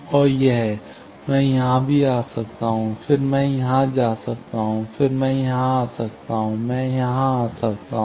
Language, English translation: Hindi, And also, I can come here; then, I can go here; then, I can come here; I can come here